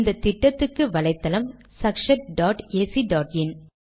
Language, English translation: Tamil, The website for this mission is sakshat.ac.in